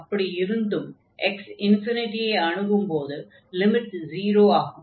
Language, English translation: Tamil, So, the problem here is when x approaching to 0